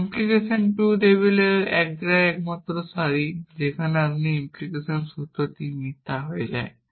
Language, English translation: Bengali, That is the only row in the implication to table where this implication formula becomes false